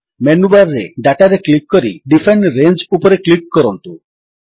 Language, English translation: Odia, From the Menu bar, click Data and then click on Define Range